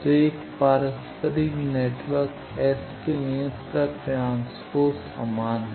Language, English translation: Hindi, So, for a reciprocal network S and its transpose is same